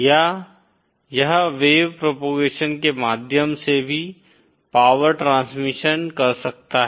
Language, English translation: Hindi, Or, it can also the power transmission can take place through wave propagation